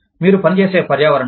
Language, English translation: Telugu, Environment, that you function in